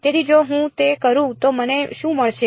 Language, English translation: Gujarati, So, if I do that what do I get is